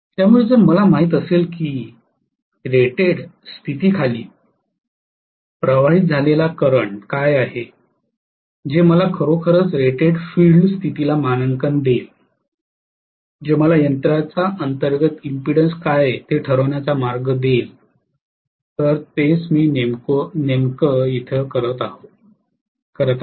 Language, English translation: Marathi, So if I know what is the current that is flowing under rated condition that will actually you know rated field condition that will give me a way to determine, what is internal impedance of the machine, that is what I am precisely doing right